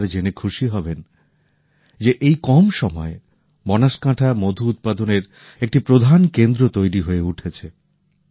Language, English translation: Bengali, You will be happy to know that in such a short time, Banaskantha has become a major centre for honey production